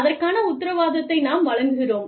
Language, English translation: Tamil, We will give you a guarantee, of that